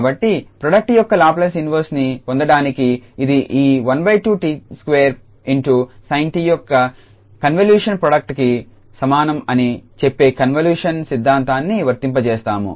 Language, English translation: Telugu, So, to get the Laplace inverse of the product we will apply the convolution theorem which says that this will be equal to the convolution product of this half t square sin t